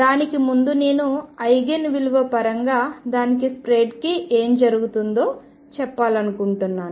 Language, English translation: Telugu, Before that I just want to tell you what happens for an Eigen value in terms of it is spread